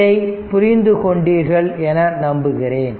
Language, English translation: Tamil, Hope it is understandable to you